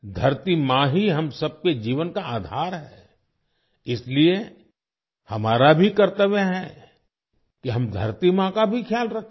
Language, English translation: Hindi, Mother Earth is the very basis of the lives of all of us… so it is our duty to take care of Mother Earth as well